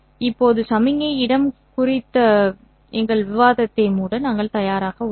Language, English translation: Tamil, Now we are ready to close our discussion on the signal space